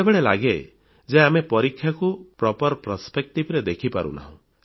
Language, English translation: Odia, Sometimes it also appears that we are not able to perceive examinations in a proper perspective